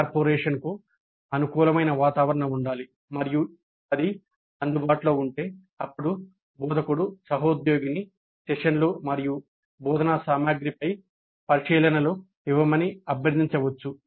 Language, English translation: Telugu, So there must exist an environment which is conducive to cooperation and if that is available then the instructor can request the colleague to give observations on the contact of the sessions and the instructional material